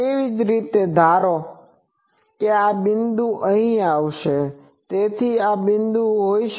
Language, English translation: Gujarati, Similarly, this point is put here, but the value is actually here